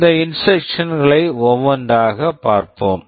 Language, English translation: Tamil, Let us look at these instructions one by one